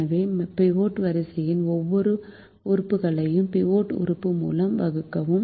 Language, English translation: Tamil, so divide every element of the pivot row by the pivot element